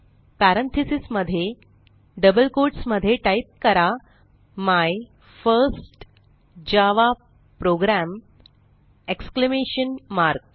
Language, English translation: Marathi, So Within parentheses in double quotes type, My first java program exclamation mark